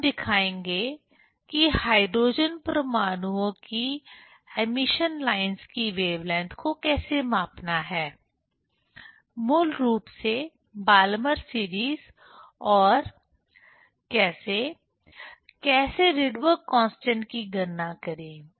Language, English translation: Hindi, Then we will show how to measure the wavelength of emission lines of hydrogen atoms; basically Balmer series and how to, how to calculate the Rydberg Constant